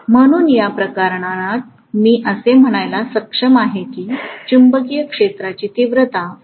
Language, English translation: Marathi, So that is not having any influence on the magnetic field intensity